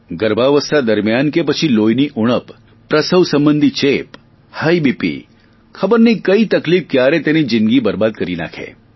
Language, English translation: Gujarati, Anemia during or after pregnancy, pregnancy related infections, high BP, any such complication can have devastating effect